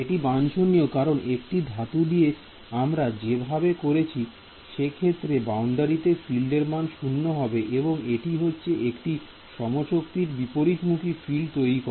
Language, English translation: Bengali, So, it is undesirable because by putting a metal what you doing, even though the field at the boundary is going to 0 the way does it is by generating an equal and opposite field